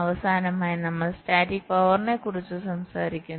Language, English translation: Malayalam, ok, and lastly, we talk about static power